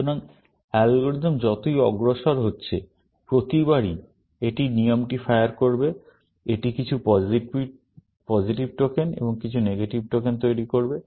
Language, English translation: Bengali, So, as the algorithm is progressing, every time it fires the rule, it will generate some positive tokens and some negative tokens